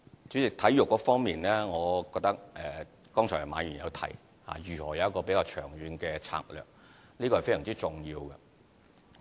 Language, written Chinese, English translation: Cantonese, 主席，在體育方面，馬議員剛才提及到如何有一個比較長遠的策略，我覺得這是非常重要的。, President in terms of sports Mr MA mentioned earlier how we can have a longer - term strategy and I feel that this is very important